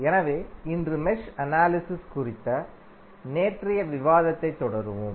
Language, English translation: Tamil, So, today we will continue our yesterday’s discussion on Mesh Analysis